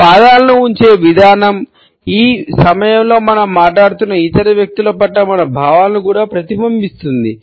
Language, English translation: Telugu, The way we position our feet also reflects our feelings towards other people to whom we happen to be talking to at the moment